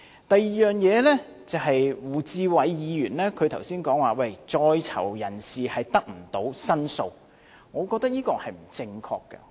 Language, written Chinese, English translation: Cantonese, 第二，胡志偉議員剛才說，在囚人士得不到申訴，我覺得是不正確的。, Secondly Mr WU Chi - wai said earlier that prisoners did not have any chance to lodge complaints . I think this is not true